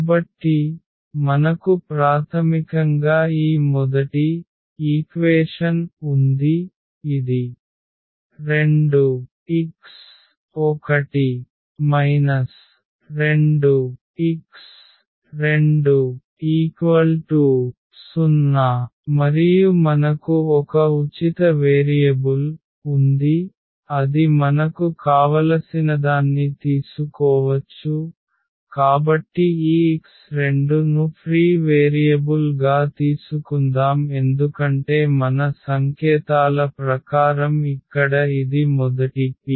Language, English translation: Telugu, So, we have basically this first equation which says that 2 x 1 minus square root 2 x 2 is equal to 0 and we have one free variable which we can take whichever we want, so let us take this x 2 is a free variable because as per our notations here this is the first the p both here